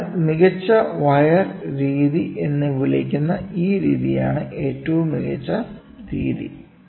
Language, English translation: Malayalam, So, let us look at the best wire method which is this method, which is called as the best wire method